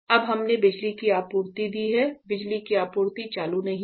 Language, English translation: Hindi, So, now we have given power supply in the power supply is not on right